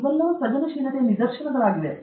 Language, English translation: Kannada, All these are instances of creativity